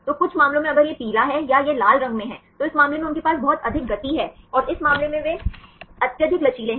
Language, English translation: Hindi, So, some cases if it is yellow or it is in the red, in this case they have a lot of motions right and in this case they are highly flexible